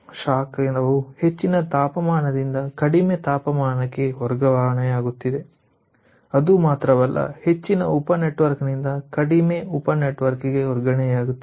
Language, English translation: Kannada, so heat is getting transferred from high temperature to low temperature, and not only that, it is getting transferred from a higher sub network to a lower sub network